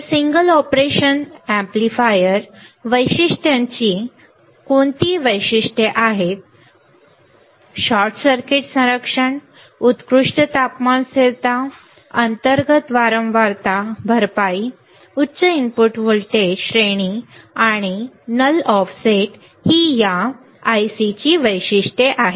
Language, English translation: Marathi, So, what are the features of the single operation amplifier features are short circuit protection, excellent temperature stability, internal frequency compensation, high input voltage range and null of offset right these are the features of this particular I C